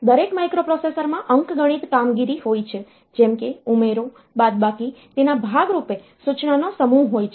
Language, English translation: Gujarati, So, every microprocessor has arithmetic operations such as add, subtract as part of it is instruction set